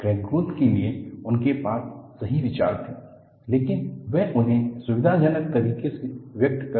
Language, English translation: Hindi, He had right ideas for crack growth, but he was not able to express it in a convenient fashion